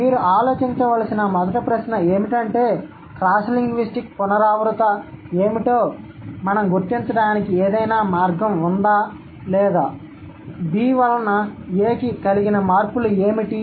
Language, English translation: Telugu, So, the first question that you need to think about is that is there any way by which we can identify what are the cross linguistic recurrent or what are the changes that A has which results in B